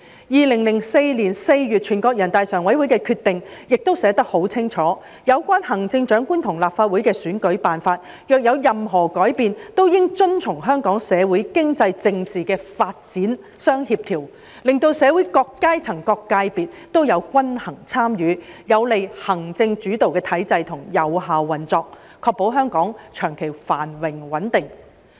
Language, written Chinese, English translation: Cantonese, 2004年4月，全國人大常委會的有關決定亦寫得很清楚，有關行政長官和立法會的選舉辦法若有任何改變，均應遵從香港社會、經濟、政治的發展相協調，令到社會各階層、各界別也有均衡參與，有利行政主導的體制的有效運作，確保香港長期繁榮穩定。, In April 2004 the relevant decision of NPCSC stated clearly that any change relating to the methods for the selection of the Chief Executive and for the formation of the Legislative Council shall be compatible with the social economic and political development of Hong Kong enabling balanced participation of all sectors and groups of the society and being conducive to the effective operation of the executive - led system and the long - term prosperity and stability of Hong Kong